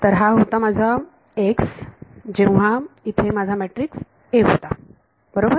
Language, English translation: Marathi, So, this was my x when I have my A matrix over here right